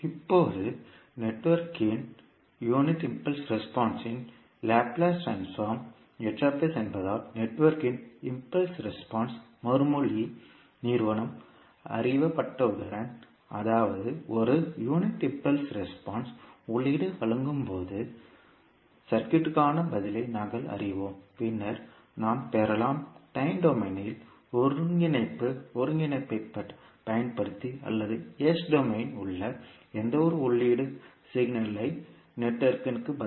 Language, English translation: Tamil, Now, as H s is the Laplace transform of the unit impulse response of the network, once the impulse response entity of the network is known, that means that we know the response of the circuit when a unit impulse input is provided, then we can obtain the response of the network to any input signal in s domain using convolution integral in time domain or corresponding the s domain analysis for convolution integral